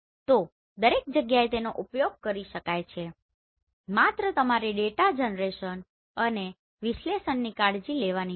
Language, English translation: Gujarati, So everywhere it can be used provided you should take care of the data generation and the analysis